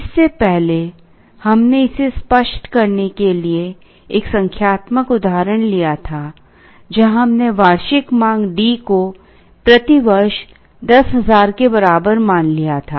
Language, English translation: Hindi, Earlier we had taken a numerical example to illustrate this, where we had assumed D, annual demand is equal to 10000 per year